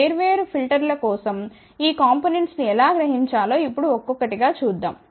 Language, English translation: Telugu, Let us just see now one by one how to realize these components for different filters